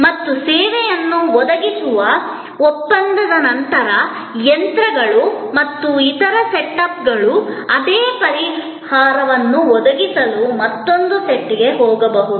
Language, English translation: Kannada, And after that contract that service is provided, the machines and other setups can move to another site to provide the same solution